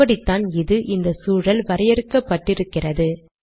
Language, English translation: Tamil, This is how it is defined, how this environment is defined